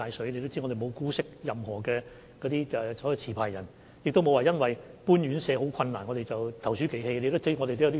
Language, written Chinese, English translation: Cantonese, 大家也知道，我們沒有姑息任何一名持牌人，也沒有因為搬遷院舍十分困難而投鼠忌器。, As people are aware we are neither indulgent towards licence holders nor thwarted by difficulties to relocate the residents of care homes when necessary